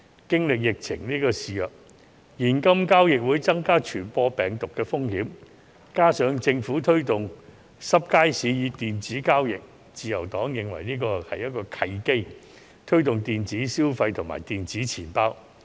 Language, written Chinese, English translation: Cantonese, 經歷疫情肆虐，現金交易會增加傳播病毒風險，加上政府推動濕街市以電子交易，自由黨認為這是一個推動電子消費及電子錢包的契機。, Amid the epidemic cash transaction increases the risk of virus transmission adding that the Government is promoting electronic transactions in wet markets LP sees this as an opportunity to promote electronic consumption and electronic wallets